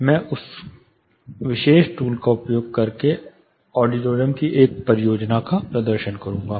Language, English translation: Hindi, I will be demonstrating one of the auditorium projects using that particular tool